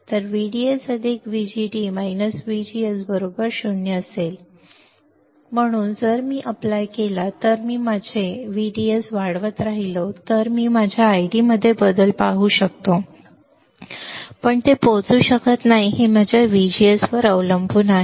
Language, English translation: Marathi, So, if I apply if I keep on increasing my VDS, I can see change in my I D I keep on increasing my VDS you see again see change in my I D right, but that cannot reach that also has to depend on my VGS right